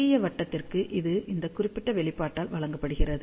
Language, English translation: Tamil, And for small loop, it is given by this particular expression